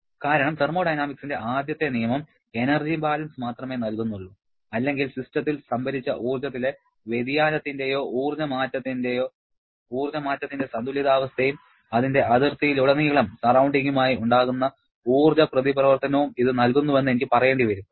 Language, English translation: Malayalam, Because first law of thermodynamics provides only a balance of energy or I should say it provides you a balance of the energy change or change in the stored energy of the system and the energy interaction it can have with the surrounding across its boundary